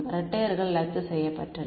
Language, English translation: Tamil, the twos cancelled off